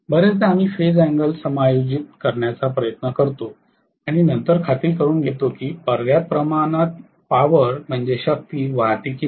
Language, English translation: Marathi, Very often we try to adjust the phase angle and then make sure that sufficient amount of power flows right